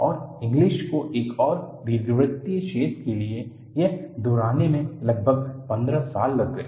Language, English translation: Hindi, And, it took almost fifteen years for Inglis to go and repeat the same for an elliptical hole